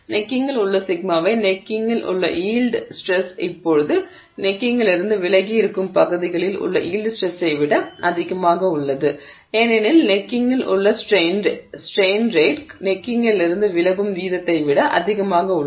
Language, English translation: Tamil, So, sigma y at the neck, the yield stress at the neck is now higher than the yield stress at regions away from the neck because the strain rate at the neck is higher than the strain rate away from the neck